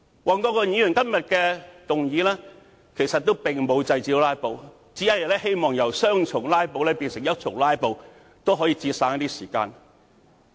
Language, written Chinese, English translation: Cantonese, 黃國健議員今天提出的議案並沒有制止"拉布"，只是希望由雙重"拉布"變成單重"拉布"，盡量節省一些時間。, The motion moved by Mr WONG Kwok - kin today is not intended to end filibustering altogether but only aims to turn double filibustering into single filibustering in order to save time